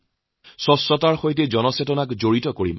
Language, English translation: Assamese, We shall connect people through cleanliness